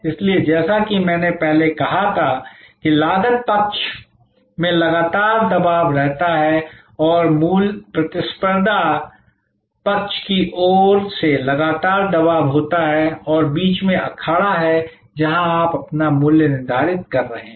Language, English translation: Hindi, So, as I said earlier that there is a constant pressure from the cost side and there is a constant pressure from the competition side and in between is the arena, where you are setting your pricing